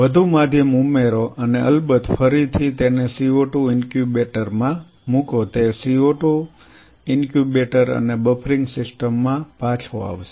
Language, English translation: Gujarati, Add more medium and of course, again put it back in the co 2 incubator will come back to the co 2 incubator and the buffering system